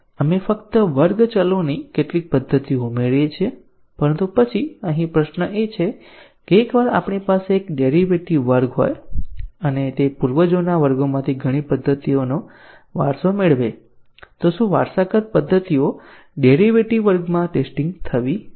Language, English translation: Gujarati, We just add few methods of class variables, but then the question here is that, once we have a derived class and it inherits many of the methods from the ancestor classes should the inherited methods be tested in the derived class